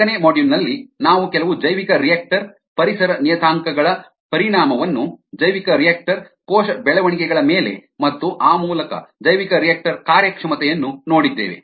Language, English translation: Kannada, in module four we looked at the effect of certain bioreactor environment parameters, ah on ah, the bioreactor cultures, and there by bioreactor performance